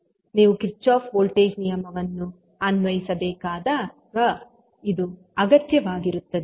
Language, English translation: Kannada, So, this will be required when you having the Kirchhoff voltage law to be applied